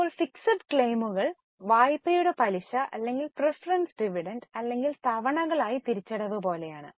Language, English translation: Malayalam, Now the fixed claims are like interest on loan or preference dividend or the repayment of installments